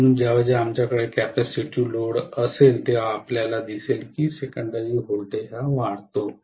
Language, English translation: Marathi, So whenever we have capacitive load we will see that the secondary voltage rises